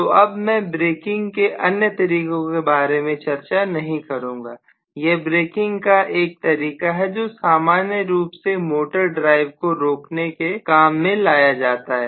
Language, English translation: Hindi, So I am not discussing any more methods of braking, this is one of the methods of braking used very very commonly, which is commonly employed to have a good control over the stopping of the motor drive